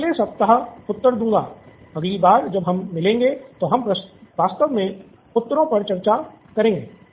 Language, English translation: Hindi, I will post the answers the next week, next time we meet we will actually discuss the answers